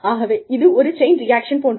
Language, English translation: Tamil, So, it is a chain reaction